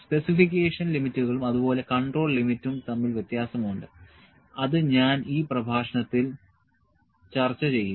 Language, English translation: Malayalam, There is the difference between specification limits and control limit that I will discuss in this lecture